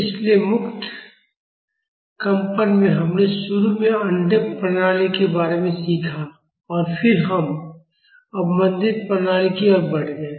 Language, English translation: Hindi, So in free vibrations, we initially learned about undamped systems and then we moved on to damped system